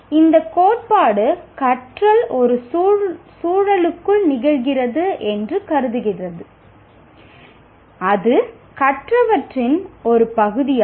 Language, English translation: Tamil, This theory considers that learning occurs within a context that is itself a part of what is learned